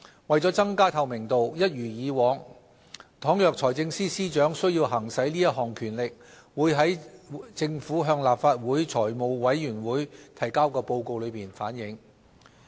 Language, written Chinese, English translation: Cantonese, 為了增加透明度，一如往常，倘若財政司司長需要行使這項權力，會在政府向立法會財務委員會提交的報告中反映。, To enhance transparency and in line with the established practice we will report to the Finance Committee of this Council if the Financial Secretary has exercised this authority to meet necessary requirements